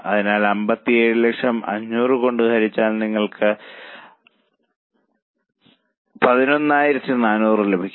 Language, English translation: Malayalam, So, 57 lakhs divided by 500, you get 11,400